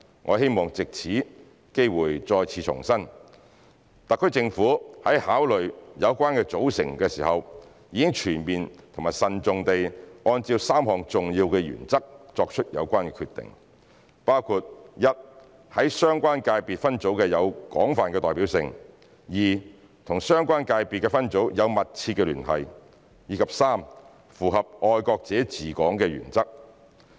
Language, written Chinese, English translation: Cantonese, 我希望藉此機會再次重申，特區政府在考慮有關組成時，已全面慎重地按照3項重要原則作出有關決定，包括 ：1 在相關界別分組有廣泛代表性、2與相關界別分組有密切聯繫，及3符合"愛國者治港"的原則。, I would like to take this opportunity to reiterate again that when considering the relevant composition the SAR Government has made relevant decisions in a comprehensive and prudential manner based on three important principles including 1 being broadly representative in the relevant subsectors 2 having substantial connection with the relevant subsectors and 3 adherence to the principle of patriots administering Hong Kong